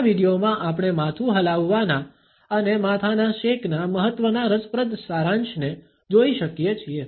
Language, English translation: Gujarati, In this video we can look at interesting summarization of the significance of nod and shake of the head